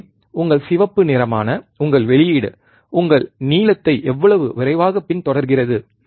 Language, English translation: Tamil, So, how fast your output that is your red follows your blue